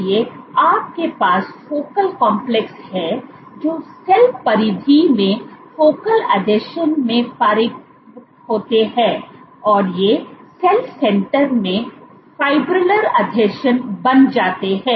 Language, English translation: Hindi, So, you have Focal Complexes mature into Focal Adhesions at the cell periphery and these become Fibrillar Adhesions at the cell center